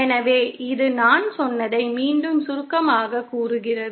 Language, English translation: Tamil, So, this is once again summarising what I was saying